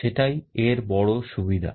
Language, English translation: Bengali, That is the big advantage